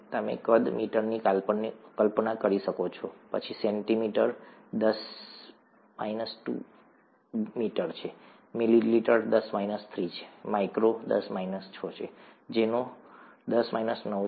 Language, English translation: Gujarati, You can imagine the size, meter, then centimeter is ten power minus two meter, millimeter is ten power minus three, micro is ten power minus six, nano is ten power minus nine, okay